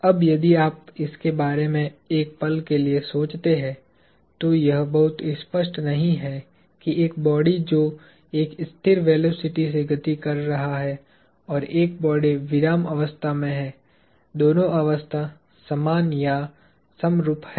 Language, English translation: Hindi, Now, if you think about it for a moment, it is not very obvious that a body that is moving at a constant velocity and a body at rest are both the same or similar in their state